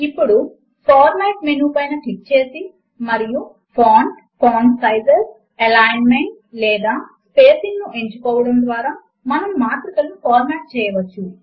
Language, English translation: Telugu, Now, we can format matrices by clicking on the Format menu and choosing the font, font sizes, alignment or the spacing